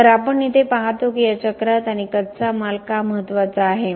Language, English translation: Marathi, So, we see here that in this cycle and why raw materials are important